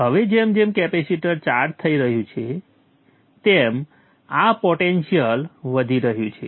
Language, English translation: Gujarati, Now as the capacitor is charging up, this potential is rising